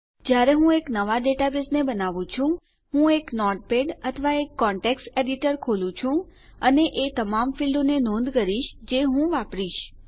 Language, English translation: Gujarati, When I create a new database, I open up a notepad or a context editor and note down all the fields that Ill use